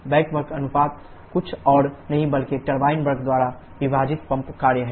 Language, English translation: Hindi, Back work ratio is nothing but the pump work the weather turbine work